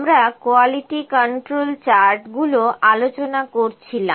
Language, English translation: Bengali, So, we were discussing the Quality Control charts